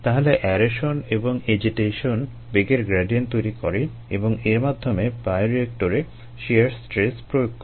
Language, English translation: Bengali, so aeration and agitation cause velocity gradients and hence shear stress in bioreactors